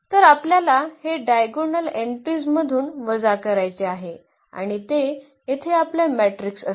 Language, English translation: Marathi, So, we have to subtract this 3 from the diagonal entries and that will be our matrix here